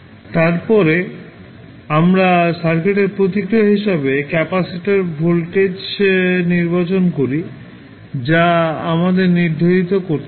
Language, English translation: Bengali, We have to select the capacitor voltage as a circuit response which we have to determine